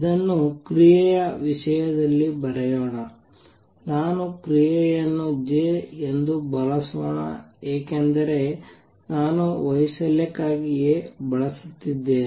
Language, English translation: Kannada, Let us write this in terms of action, let me use J for action because I am using A for amplitude